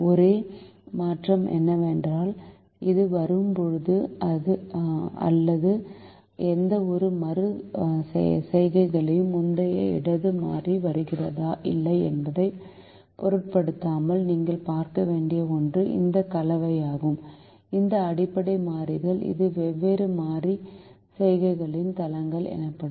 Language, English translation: Tamil, the only change is you will realize that when it comes, or at any iteration, irrespective of whether an earlier variable that had earlier left is coming in or not, one thing that you have to see is this combination, this set of basic variables, which is called bases, which is called bases, will be different in different iterations